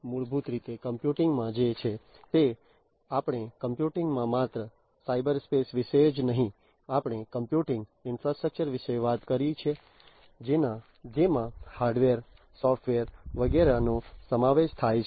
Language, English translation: Gujarati, So, basically in computing what is there is we are talking about not only the cyberspace in computing, we talk about the computing infrastructure which includes hardware, software etc